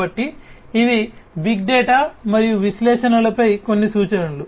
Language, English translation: Telugu, So, these are some of the references on big data and analytics